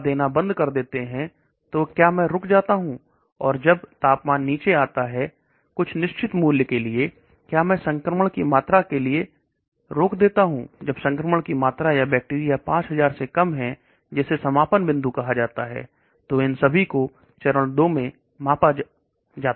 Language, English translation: Hindi, When do you stop giving the drug , so do I stop and when the temperature comes down to somewhat certain value, do I stop for an infection when the amount of infection or bacteria is less than 5000 like that is called the endpoints